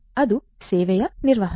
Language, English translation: Kannada, That is the denial of service